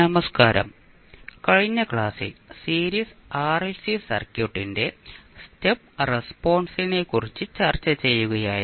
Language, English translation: Malayalam, Namaskar, In the last class we were discussing about the Step Response of Series RLC Circuit